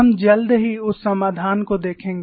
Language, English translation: Hindi, We will look at that solution shortly